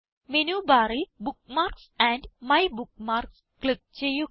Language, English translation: Malayalam, * From Menu bar, click on Bookmarks and MyBookmarks